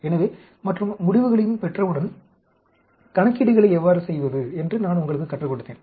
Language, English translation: Tamil, So, and, I also taught you how to do the calculations later, once you have the results also